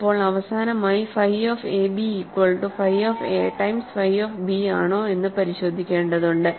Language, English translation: Malayalam, Now finally, we have to check that phi of a b is equal to phi of a times phi of b